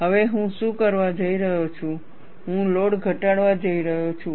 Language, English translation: Gujarati, Now, what I am going to do is, I am going to reduce the load